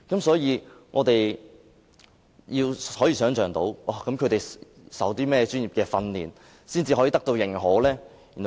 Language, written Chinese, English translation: Cantonese, 所以，我們難以想象，他們要受過甚麼專業訓練才能得到認可呢？, For that reason it is difficult for us to imagine what kind of professional training should they obtain before they are given the due recognition?